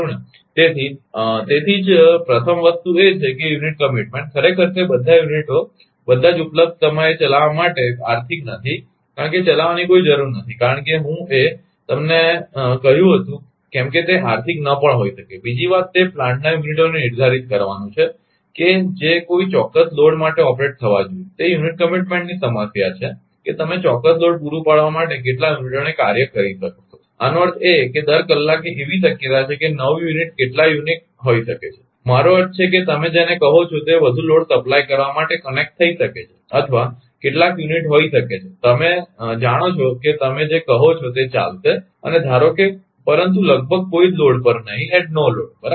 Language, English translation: Gujarati, So, so it so first thing is that that unit commitment actually, it is not economical to run all the units right available all the time because, there is no need to run because, it may not be economical as I told you, second thing is to determine the units of a plant that should operate for a particular load is the problem of unit commitment that how many units you will be operating for supplying a certain load; that means, every hour there is a possibility that new unit some unit may be I mean what you call, ah may be connected ah to supply more load, or some unit may be you know it will be your what you call it will be running ah and suppose, but but almost that no load right